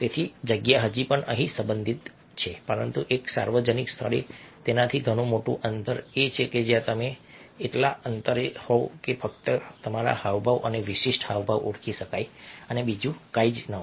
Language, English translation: Gujarati, but a public place, a much greater distance, is one where you are at such a distance that only your gestures and distinctive gestures can be identified and nothing else